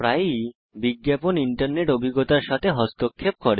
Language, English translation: Bengali, * Often ads interfere with our internet experience